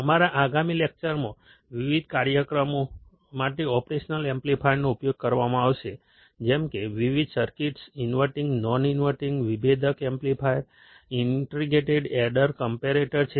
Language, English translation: Gujarati, Our next lecture would consist of using the operational amplifier for different applications; like, different circuits inverting, non inverting, differential amplifier, integrator, adder, comparator